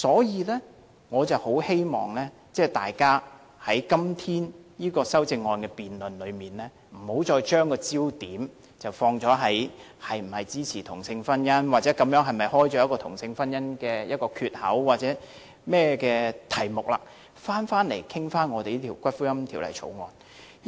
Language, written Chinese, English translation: Cantonese, 因此，我很希望大家在今天這項修正案的辯論中，不要再把焦點放在是否支持同性婚姻、這樣會否打開同性婚姻的缺口或其他任何議題上，而應集中討論這項《條例草案》。, Hence I very much hope that in this debate on the amendments today Members will focus their discussion on the Bill instead of whether or not they support same - sex marriage whether it will open the door to same - sex marriage or any other issues